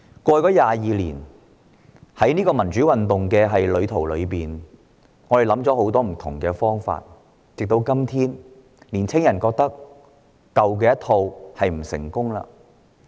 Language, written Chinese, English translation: Cantonese, 過去22年，我們在民主路上想過很多不同方法，但時至今日，青年人認為舊有方式並不成功。, Over the past 22 years we have thought of different ways to promote democracy . Today young people think that the old ways no longer work